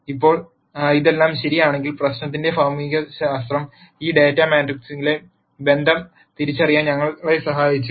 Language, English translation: Malayalam, Now, if all of this is true then the physics of the problem has helped us identify the relationship in this data matrix